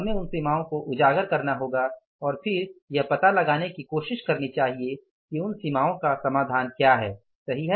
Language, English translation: Hindi, So, we have to understand those limitations, we have to highlight those limitations and then try to find out what is the solution for those limitations, right